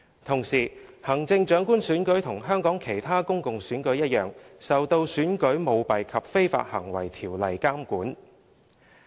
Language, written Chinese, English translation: Cantonese, 同時，行政長官選舉與香港其他公共選舉一樣，受《選舉條例》監管。, Meanwhile just like other public elections in Hong Kong the Chief Executive election is regulated by the Elections Ordinance